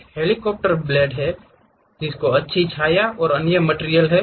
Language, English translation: Hindi, There is a helicopter blades, there is a nice shade, and other materials